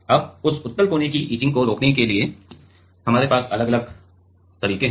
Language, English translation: Hindi, Now, there are different ways to prevent this convex corner etching